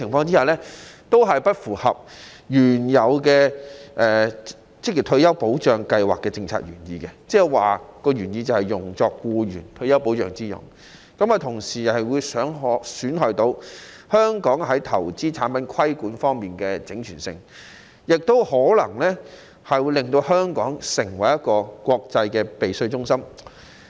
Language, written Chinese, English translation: Cantonese, 這些做法均不符合職業退休計劃為僱員提供退休保障的政策原意，同時會損害香港在投資產品規管方面的整全性，亦可能會令到香港成為國際避稅中心。, This is not in line with the original policy intent of OR Schemes which is to provide retirement protection for employees . It will also compromise the integrity of the regulation of investment products in Hong Kong and may make Hong Kong an international tax avoidance centre